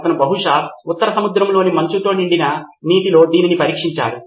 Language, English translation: Telugu, He tested it probably in the icy waters of North Sea